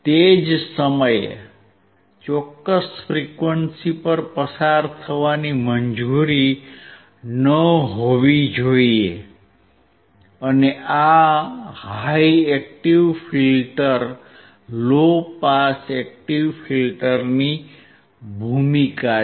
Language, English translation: Gujarati, At the same time at certain frequency to be not allowed to pass and this is the role of the high active filter low pass active filter